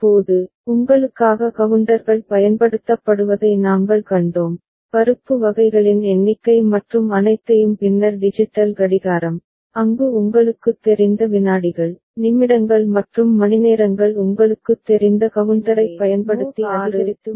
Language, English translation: Tamil, Now, we had seen counters getting used for you know of course, the counting number of pulses and all and then digital clock where the seconds, minutes and hours you know this count was getting incremented using different kind of you know counter